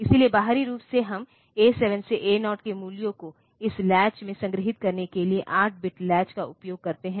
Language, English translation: Hindi, So, externally we use an 8 bit latch to store the values of A 7 to A 0 into this latch